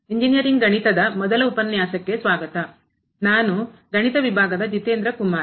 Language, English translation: Kannada, Welcome to the first lecture on Engineering Mathematics, I am Jitendra Kumar from the Department of Mathematics